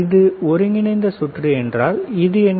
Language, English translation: Tamil, Is this integrated circuit